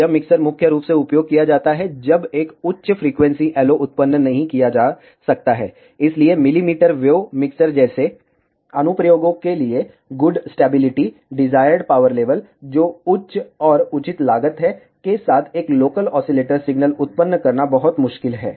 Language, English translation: Hindi, This mixture is mainly used, when a high frequency LO cannot be generated, so for applications such as millimetre wave mixers, it is very difficult to generate a local oscillator signal with good stability, the desired power level, which is high and reasonable cost